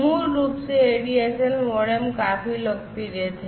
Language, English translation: Hindi, Basically, you know ADSL modems were quite popular